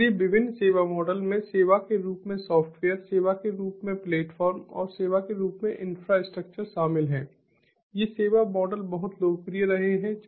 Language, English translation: Hindi, so different service models include the software as a service, platform as a service, and infrastructure as a service